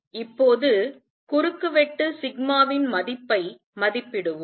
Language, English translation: Tamil, Let us now estimate the value of cross section sigma